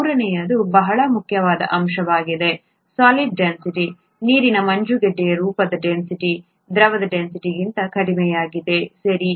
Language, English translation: Kannada, This third one is a very important aspect, the solid density; the density of ice form of water is lower than the liquid density, okay